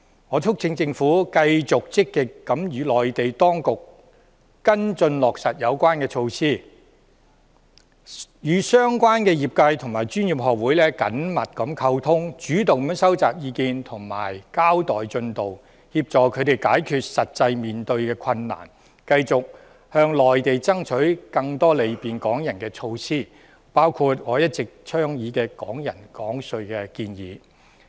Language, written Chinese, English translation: Cantonese, 我促請政府繼續積極地與內地當局跟進落實有關措施，與相關業界和專業學會緊密溝通，主動收集意見和交代進度，協助他們解決實際面對的困難，繼續向內地爭取更多便利港人的措施，包括我一直倡議的"港人港稅"安排。, I urge the Government to keep on following up proactively on the implementation of the relevant measures and communicating closely with the trade people and professional bodies concerned . Moreover the Government should the initiative to collate views and report the progress help resolve the practical difficulties they face continue pursuing with the Mainland more measures including the tax arrangement which I have been advocating to facilitate Hong Kong people paying tax at Hong Kong tax rates